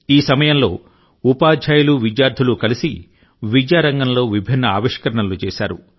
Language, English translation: Telugu, Meanwhile teachers and students have come together with myriad innovations in the field of education